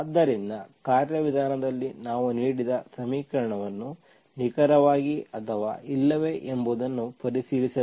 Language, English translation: Kannada, So in the procedure we just have to check whether a given equation in exact or not